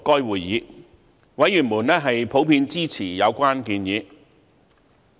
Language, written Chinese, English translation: Cantonese, 委員普遍支持有關建議。, Members of the Panel generally supported the proposals